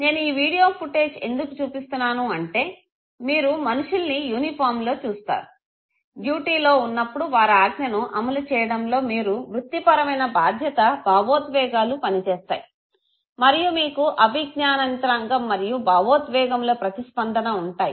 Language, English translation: Telugu, The reason I am showing you this video footage is, that you see people in uniform, who are supposed to execute a command while you are on duty you are performing the Professional Responsibility emotions work and you have a cognitive operation mechanism okay, operation and then the emotional reaction